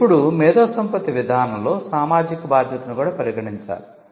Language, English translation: Telugu, Now, one of the things that IP policy should consider this social responsibility